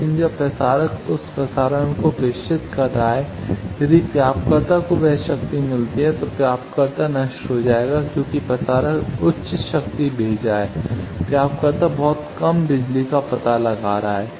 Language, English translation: Hindi, But when the transmitter is transmitting if receiver gets that power then receiver will be destroyed because transmitter is sending high power, receiver is detecting very low power